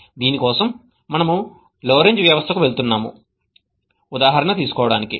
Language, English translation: Telugu, For this, we are going to take an example of what is known as the Lorentz system